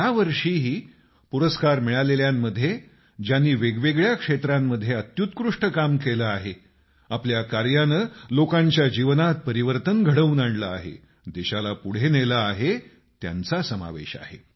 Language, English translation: Marathi, This year too, the recipients comprise people who have done excellent work in myriad fields; through their endeavour, they've changed someone's life, taking the country forward